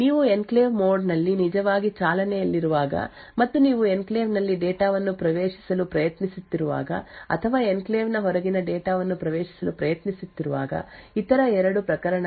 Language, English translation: Kannada, The two other cases are when you are actually running in the enclave mode and you are trying to access data within the enclave or trying to access data which is outside the enclave so both of this should be permitted by the processor